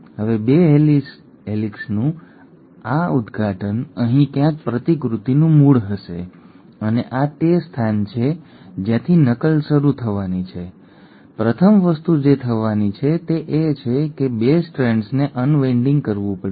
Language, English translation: Gujarati, Now this opening of the 2 helices, somewhere here will be the origin of replication and this is where the replication has to start, the first thing that has to happen is the 2 strands have to unwind